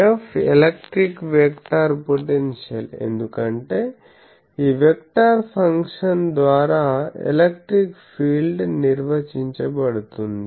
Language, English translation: Telugu, F is electric vector potential because electric field is getting defined by this vector function